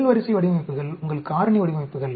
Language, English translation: Tamil, First order designs are your factorial designs